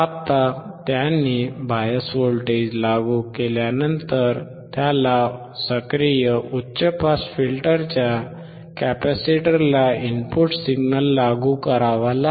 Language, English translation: Marathi, Now once he has applied the biased voltage, he has to apply the input voltage input signal to the capacitor of the active high pass filter